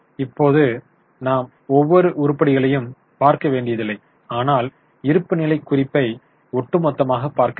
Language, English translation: Tamil, Now, you don't have to look at every figure, but we just had a overall look at the balance sheet